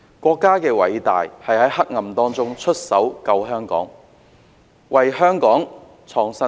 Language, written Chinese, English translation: Cantonese, 國家的偉大之處是在黑暗中出手拯救香港，為香港創新天。, The greatness of our country lies in its actions to save Hong Kong during the darkest time and break new ground for us